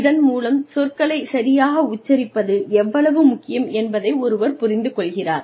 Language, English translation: Tamil, And, that point one realizes, how important it is to pronounce words properly